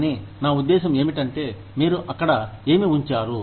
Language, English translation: Telugu, But, what I mean, what do you put there